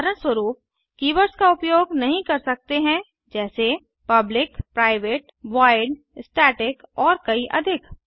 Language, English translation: Hindi, For example: cannot use keywords like public, private, void, static and many more